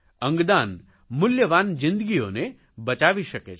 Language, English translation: Gujarati, 'Organ Donation' can save many valuable lives